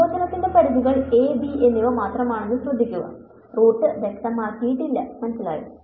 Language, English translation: Malayalam, Notice that the limits of the integration are simply a and b, the root is not being specified ok